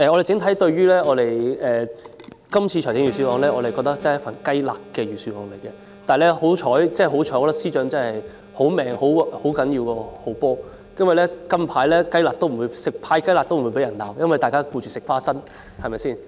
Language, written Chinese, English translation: Cantonese, 整體而言，我們認為這份預算案是"雞肋"，幸好財政司司長命好，命好比好波更重要，"派雞肋"也不會被罵，因為大家最近忙着吃"花生"，對嗎？, On the whole we think that this Budget is like a piece of chicken rib . Luckily the Financial Secretary is blessed with good fortune because being blessed with good fortune is more important than being good at playing football and he will not be scolded for handing out a piece of chicken rib because we have recently been busy eating popcorn right?